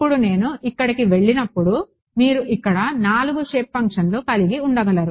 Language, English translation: Telugu, Now when I go over here this I can you conceivably have four shape functions over here